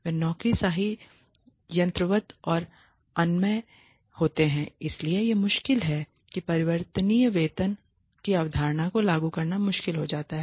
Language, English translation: Hindi, They tend to be bureaucratic mechanistic and inflexible so it is difficult it becomes difficult to implement the concept of variable pay